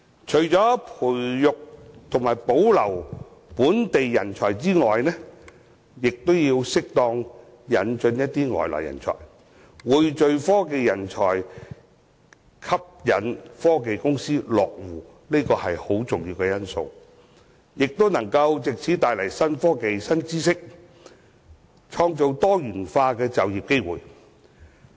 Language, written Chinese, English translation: Cantonese, 除培訓及保留本地人才外，亦要適當引入外來人才，匯聚科技人才，吸引科技公司落戶，這都很重要，亦可以藉此帶來新科技、新知識，並創造多元就業機會。, Apart from training and retaining local talents it is also important to appropriately recruit overseas talents to Hong Kong to form a pool of talents and attract technology companies to settle in Hong Kong . This is important for bringing in new technologies and knowledge and creating diversified employment opportunities